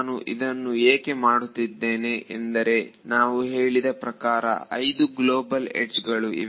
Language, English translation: Kannada, The reason I am doing this is because we said there are 5 global edges